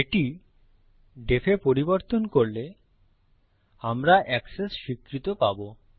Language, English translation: Bengali, Change this to def and well get Access granted